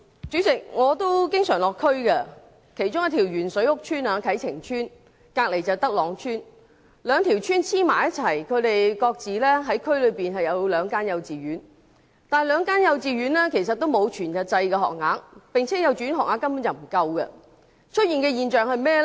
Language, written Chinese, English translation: Cantonese, 主席，我經常到地區，其中一條鉛水屋邨啟晴邨，以及旁邊的德朗邨，兩條邨是相連的，各自設有兩間幼稚園，但兩間幼稚園都沒有全日制學額，而且學額根本不足夠。, President I often visit the districts . Kai Ching Estate one of the lead - in - water housing estates and the adjoining Tak Long Estate are two connected housing estates each having two kindergartens but none of them has provided full - time places and the provision is downright insufficient